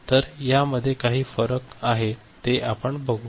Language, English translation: Marathi, So, there is some difference that we shall also tell